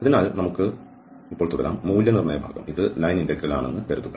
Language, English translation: Malayalam, So, let us continue now, the evaluation part that suppose, this is the integral